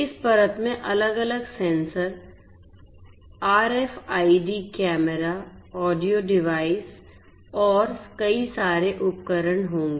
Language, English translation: Hindi, This will consist of this layer will consist of different sensors RFIDs, cameras, audio devices and many more